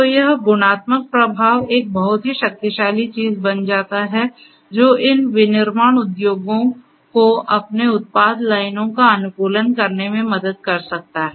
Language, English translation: Hindi, So, this multiplicative effect becomes a very powerful thing which can help these manufacturing industries in the factories to optimize their product lines